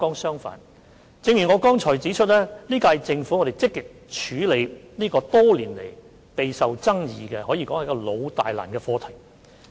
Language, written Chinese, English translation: Cantonese, 相反，正如我剛才指出，本屆政府積極處理這個多年來備受爭議的老大難課題。, On the contrary as I have said just now the current - term Government has been actively addressing this highly controversial and thorny issue over the years